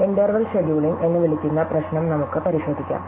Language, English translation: Malayalam, So, we looked at the problem called interval scheduling